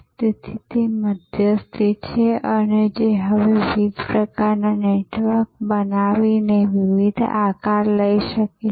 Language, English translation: Gujarati, So, that intermediary is the can now take different shapes creating different types of networks